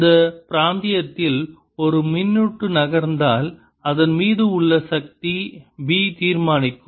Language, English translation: Tamil, if a charge moves in this region, the force on it will be determined by b